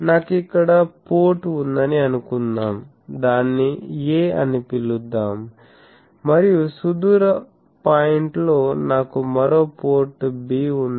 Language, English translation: Telugu, Suppose I have a port here let me call it a and at a distant point, I have another port b